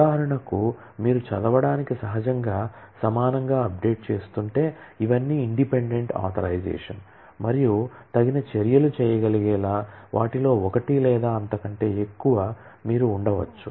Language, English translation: Telugu, For example, if you are updating naturally evenly to read, but it is these are all independent authorisations, and you may have one or more of them to be able to do the appropriate actions